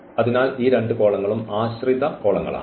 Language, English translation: Malayalam, So, these two columns are dependent columns